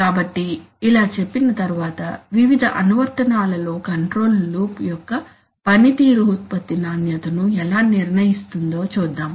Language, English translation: Telugu, So having said that, let us see that how the performances of a control loop in various applications can actually decide the product quality